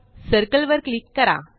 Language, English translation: Marathi, Click on Circle